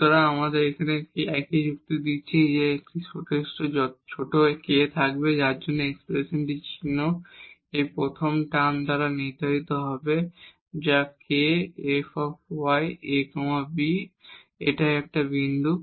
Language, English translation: Bengali, So, same argument we are making here that there will be a sufficiently small k for which the sign of this expression will be determined by this first term which is k fy a b and that is the point here